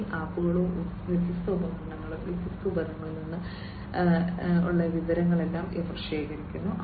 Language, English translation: Malayalam, So, these apps and different devices they, they collect all these different data from the different equipments